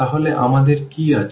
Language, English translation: Bengali, So, now what we have